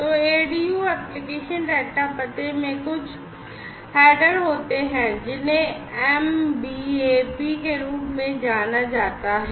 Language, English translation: Hindi, So, this ADU application data address, data unit has some header, which is known as the MBAP